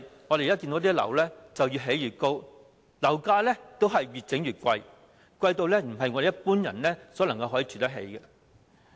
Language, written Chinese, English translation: Cantonese, 我們看到現時的樓宇越建越高，樓價亦越來越昂貴，昂貴到不是一般人可以負擔得起。, As we can see now the buildings constructed have become higher and higher and so is the property price . It has become so expensive that it is not affordable to the ordinary masses